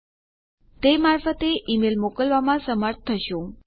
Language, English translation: Gujarati, You will be able to send an email through that